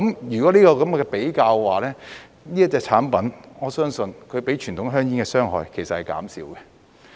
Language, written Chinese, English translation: Cantonese, 如果這樣比較的話，我相信這種產品的傷害是較傳統香煙減少了。, According to this comparison I believe that these products would do less harm than conventional cigarettes